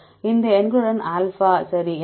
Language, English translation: Tamil, With this numbers alpha right